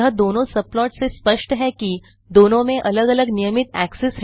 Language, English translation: Hindi, It is clear from the two subplots that both have different regular axes